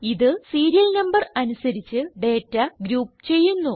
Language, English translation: Malayalam, This groups the data by Serial Number